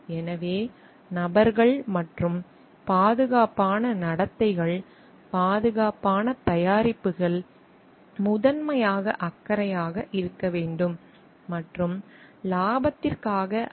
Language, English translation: Tamil, So, and persons and the safe conducts, safe products should be the primary concern and not for profits